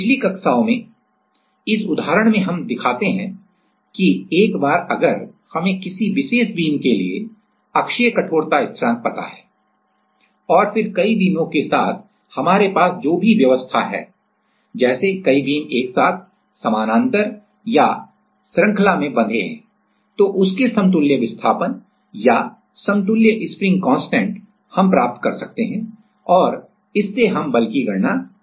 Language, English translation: Hindi, This example we show in one of the previous classes that once we know the axial like the stiffness constant for one particular beam and then whatever arrangement we have like with multiple beams just we can apply the parallel spring or the spring in series formula and can get the equivalent displacement or equivalent spring constant right